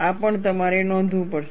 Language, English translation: Gujarati, We will also have a look at it